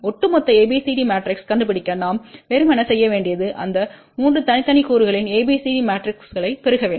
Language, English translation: Tamil, That to find out the overall ABCD matrix what we simply need to do it is multiply ABCD matrices of these 3 separate elements